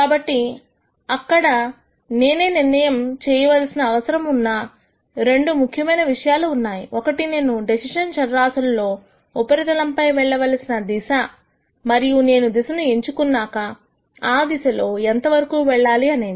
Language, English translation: Telugu, So, there are two important things that I need to decide, one is the direction in which I should move in the decision variable surface and once I figure out which direction I should move in how much should I move in the direction